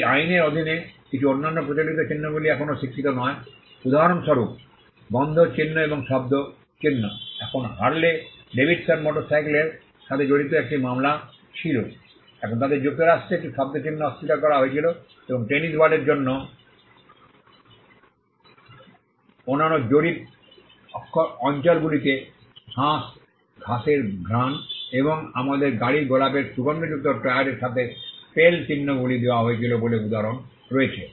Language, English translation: Bengali, Certain other unconventional marks are still not recognized under the act; for instance, smell marks and sound marks, now there was a case involving Harley Davidson motorcycles; now they were denied a sound mark in the United States and there is instances of spell marks being granted in other jurisdictions for tennis ball with a scent of mown grass or with a rose scented tyre of our cars